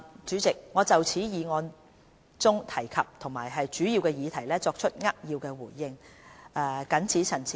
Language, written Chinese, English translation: Cantonese, 主席，我就議案中提及的主要議題作出扼要的回應，謹此陳辭。, President I have made a brief response to the major issues brought up in the motion . I so submit